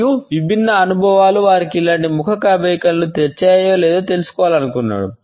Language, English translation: Telugu, And he wanted to find out whether different experiences brought similar facial expressions for them